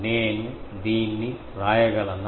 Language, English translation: Telugu, Can I write this